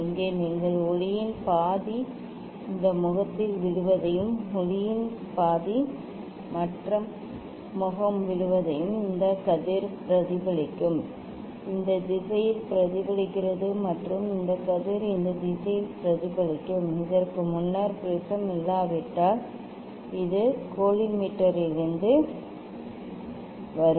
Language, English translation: Tamil, here you can see half of the light will fall on this face and half of the light will fall the other face light will reflect this ray say is reflected in this direction and this ray will reflect in this direction before so these the this is the from collimator if prism is not there